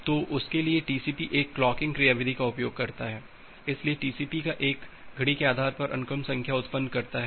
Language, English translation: Hindi, So, for that, TCP uses a clocking mechanism, so TCP generates the sequence number based on a clock